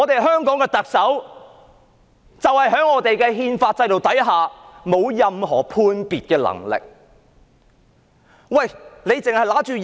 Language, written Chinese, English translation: Cantonese, 香港的特首在憲法制度之下，沒有任何判別的能力。, Under our constitutional arrangements the Chief Executive of Hong Kong is unable to exercise any judgment